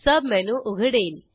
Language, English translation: Marathi, A sub menu opens